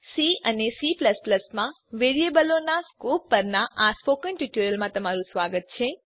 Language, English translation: Gujarati, Welcome to the spoken tutorial on Scope of variables in C and C++